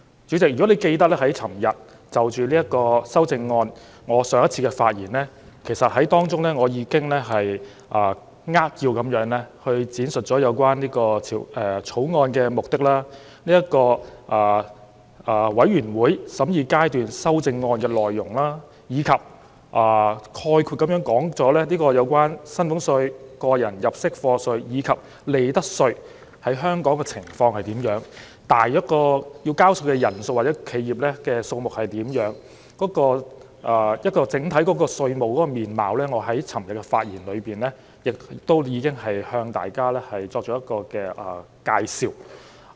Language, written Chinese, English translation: Cantonese, 主席，如果你記得，我在昨天就着修正案發言時，已經扼要闡述了《條例草案》的目的、全體委員會審議階段修正案的內容，以及概括講述了薪俸稅、個人入息課稅及利得稅在香港的情況、需要繳稅的人數和企業數量大約為何；而就着稅務的整體面貌，我在昨天的發言中亦已向大家作出了介紹。, Chairman you may recall that when I spoke on the amendments yesterday I already gave a brief overview of the objectives of the Bill and the content of the Committee stage amendments . I also gave an overall picture about the collection of salaries tax tax under personal assessment and profits tax in Hong Kong and the number of taxpaying individuals and enterprises . In my speech yesterday I also gave an introduction on taxation as a whole